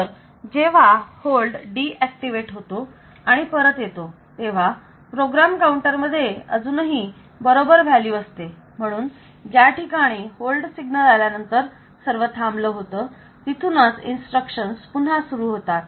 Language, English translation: Marathi, So, when this hold comes back when hold become deactivated, then the PC still contains the correct value so the instructions continues from the wherever it had stopped when the hold signal has occurred